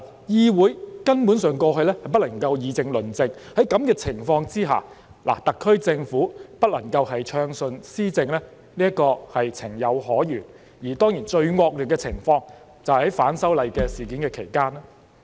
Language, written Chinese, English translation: Cantonese, 議會根本在過去不能議政論政，在這個情況下，特區政府不能暢順施政是情有可原，而當然最惡劣的情況，就是出現在反修例事件期間。, During that period in the past the Council basically could not discuss policies . Under the circumstances it is understandable that the SAR Government could not govern smoothly and of course the worst situation occurred during the events arising from the opposition to the proposed legislative amendments